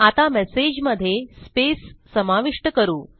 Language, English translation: Marathi, Now let us add the space to the message